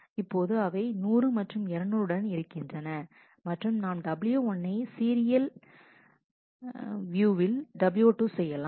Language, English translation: Tamil, Now, as it with 200 and 100 and we do w 2 followed by w 1